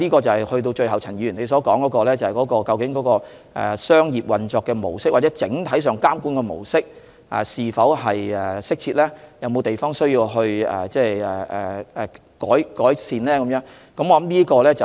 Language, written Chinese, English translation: Cantonese, 最後，陳議員問及商業運作的模式或整體監管的模式是否適切，以及是否有需要改善的地方。, Lastly Mr CHAN enquired if the business model or the approach of overall regulation is appropriate and whether any improvements need to be made